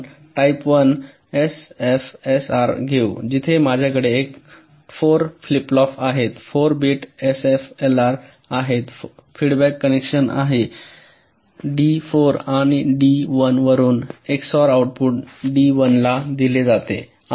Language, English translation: Marathi, so lets take ah, type one l f s r like this: where i have four flip flops, ah, four bit l f s r, the feedback connection is like this: from d four and from d one, the output of the xor is fed to d one